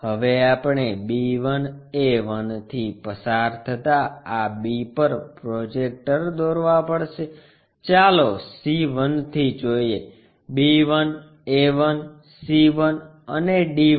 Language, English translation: Gujarati, Now, we have to draw projectors to this b passing through b 1, a 1, let us call c 1 is not' b 1, a 1, c 1, and d 1